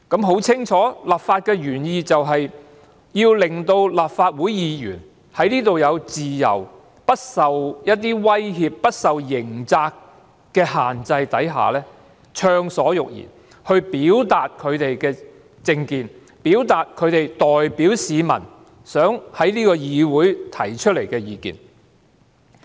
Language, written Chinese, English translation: Cantonese, 很清楚，立法原意就是要令立法會議員在會議廳內有自由、不受威脅、不受刑責的限制下暢所欲言，表達他們的政見，表達他們代表市民想在這個議會提出的意見。, Very clearly the legislative intent is to give Members of the Legislative Council freedom of speech in the Chamber so that they can speak freely to express their political views and relay the views of the public without any threat and restraint from criminal liability